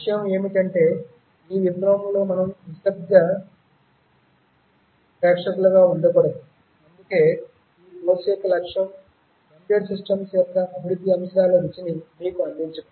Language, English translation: Telugu, The point is that we should not remain silent spectators in this revolution, that is why the objective of this course was to try and give you a flavour of the developmental aspects of embedded system